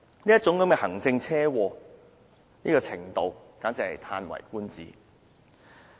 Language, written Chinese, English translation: Cantonese, 這種"行政車禍"達致這種程度，簡直是嘆為觀止。, The extent of this type of administrative car crash is indeed breath - taking